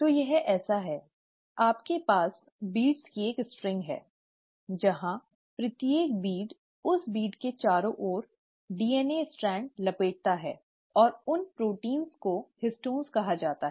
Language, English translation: Hindi, So it's like, you have a string of beads, where each bead around that bead, the DNA strand wraps, and those proteins are called as the Histones